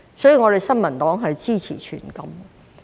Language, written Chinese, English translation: Cantonese, 所以，我們新民黨支持全禁。, Therefore we in the New Peoples Party support a total ban